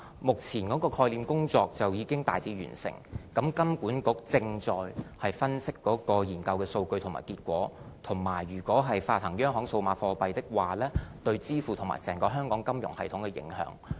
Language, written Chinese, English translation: Cantonese, 目前概念認證工作已經大致完成，金管局正在分析研究數據和結果，以及如發行央行數碼貨幣，對支付方面和整個香港金融系統的影響。, At this moment the proof - of - concept work has generally been completed . HKMA is now analysing the data and results of the study . It is also studying the impact of the issuing of CBDC on the payments and the entire financial system of Hong Kong